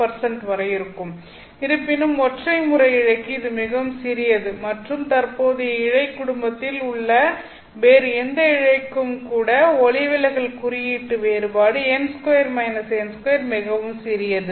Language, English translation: Tamil, However, for single mode fiber this is very small and even for any other fiber that is in the current fiber family, the difference, the refractive index difference n1 square minus n2 square is so small